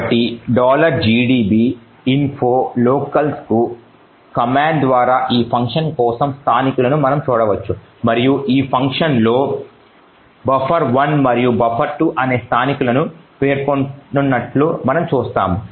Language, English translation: Telugu, using this command info locals and we see that there are 2 locals specified in this function, so buffer 1 and buffer 2